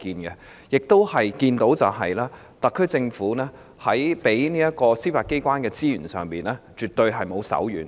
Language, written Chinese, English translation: Cantonese, 我們亦看到特區政府在給予司法機構的資源上，絕對沒有手軟。, We have also seen that the Special Administrative Region Government is by no means tight - fisted in allocating resources to the Judiciary